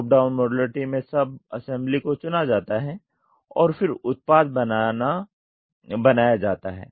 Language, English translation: Hindi, Top down modularity is sub assemblies are chosen and then the product is made